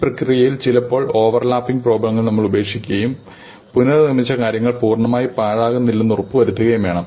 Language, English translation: Malayalam, In this process, sometimes we have to discard overlapping problems and make sure that we do not wastefully recompute things